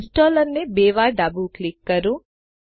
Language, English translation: Gujarati, Left Double click the installer